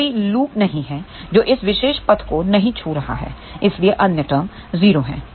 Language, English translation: Hindi, There is no loop which is not touching this particular path hence other terms are 0